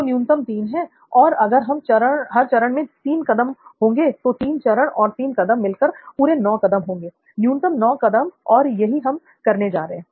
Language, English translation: Hindi, So bare minimum is 3, 3 and 3 so you will have a total of 9 steps in all, minimum number of 9 steps, so that is what we are going to do